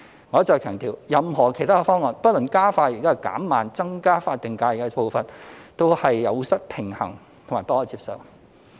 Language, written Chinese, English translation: Cantonese, 我一再強調，任何其他方案，不論加快或減慢增加法定假日的步伐，均有失平衡及不可接受。, I emphasized time and again that any other proposals regardless of whether they seek to speed up or slow down the pace of increasing SHs are considered unbalanced and unacceptable